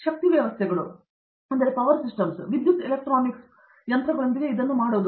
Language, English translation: Kannada, So, that is to do with power systems, power electronics machines